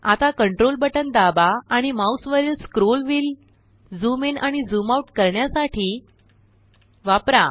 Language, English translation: Marathi, Now press the Ctrl key down and use the scroll wheel on your mouse to zoom in and out